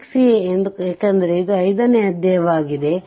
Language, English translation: Kannada, a because that it is chapter five